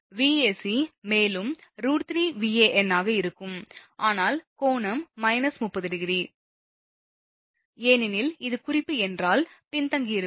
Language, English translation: Tamil, Vac will be also root 3 Van, but angle will be minus 30 degree, because if this is reference it is lagging